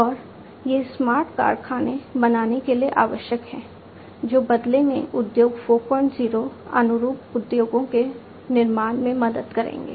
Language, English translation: Hindi, And, these are required for making smart factories which in turn will help achieve in building Industry 4